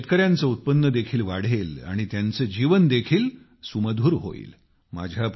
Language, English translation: Marathi, This will lead to an increase in the income of the farmers too and will also sweeten their lives